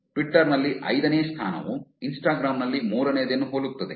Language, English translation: Kannada, Fifth in Twitter is very similar to the third in Instagram